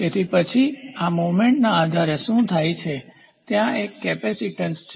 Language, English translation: Gujarati, So, then what happens based upon this movement there is a capacitance